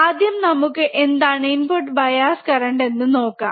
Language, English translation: Malayalam, Let us see first is input bias current ok